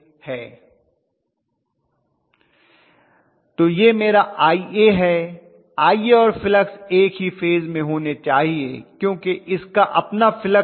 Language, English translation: Hindi, So this is my Ia, Ia and flux should be in phase with each other there its own flux